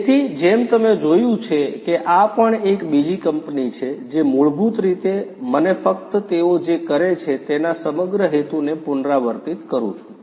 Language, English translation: Gujarati, So, as you have seen that this is yet another company you know which is basically let me just you know repeat the whole purpose of you know what they do